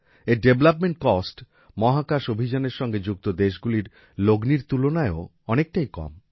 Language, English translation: Bengali, Its development cost is much less than the cost incurred by other countries involved in space missions